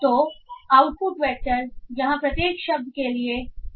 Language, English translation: Hindi, So your output vectors all for each word will be of size 300